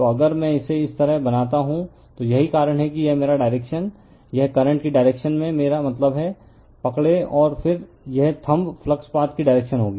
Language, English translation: Hindi, So, if I make it like this, so this that is why this is my the dire[ction] this is the I mean in the direction of the current, you grabs it right, and then this thumb will be your direction of the flux path right